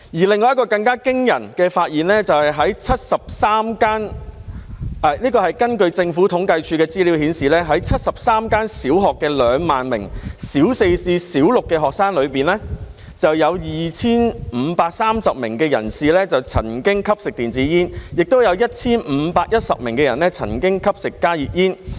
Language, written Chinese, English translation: Cantonese, 另一項更驚人的發現，就是在73間——這是根據政府統計處的資料顯示——在73間小學的2萬名小四至小六的學生中，有 2,530 名曾經吸食電子煙 ，1,510 名曾經吸食加熱煙。, Another more alarming finding was that in 73 primary schools―as indicated by the information of the Census and Statistics Department―among 20 000 Primary Four to Primary Six students in 73 primary schools 2 530 had smoked e - cigarettes and 1 510 had consumed HTPs